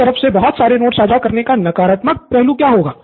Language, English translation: Hindi, What is the negative of sharing too many notes around